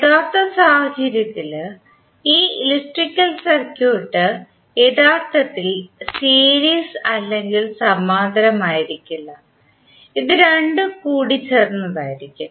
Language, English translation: Malayalam, But actually in real scenario this electrical circuit will not be series or parallel, it will be combination of both